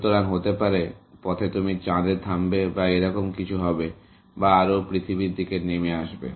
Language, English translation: Bengali, So, maybe, on the way you stop on the Moon, or something like that, or more coming down to Earth